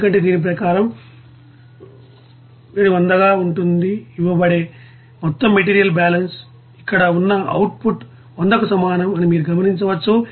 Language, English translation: Telugu, Because as per this you will see that overall material balance which will be giving as the heat 100 will be is equal to what is that output 100 here